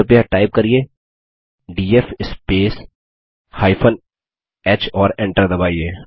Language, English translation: Hindi, Please type df space h and press Enter